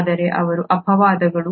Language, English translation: Kannada, But they are exceptions